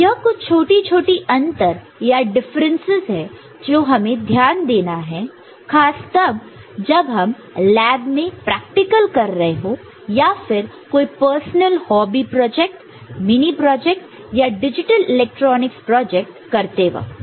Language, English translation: Hindi, So, these are certain small, small differences that you have to take note of when you are using it practically in lab or in your personal hobby project or mini project digital electronics project